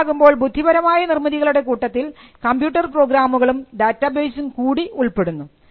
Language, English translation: Malayalam, So, intellectual creations refer to both computer programs and data bases